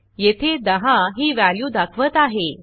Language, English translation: Marathi, It indicates that its value is 10